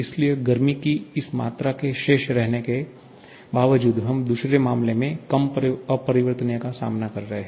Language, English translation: Hindi, Therefore, despite this amount of heat transfer remaining the same, we are having lesser amount of irreversibility in the second case